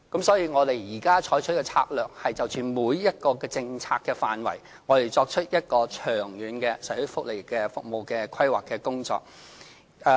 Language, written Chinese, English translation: Cantonese, 所以，我們現在採取的策略是就着每一個政策範圍作出長遠的社會福利服務規劃。, Our present strategy is to make long - term social welfare service planning for each policy area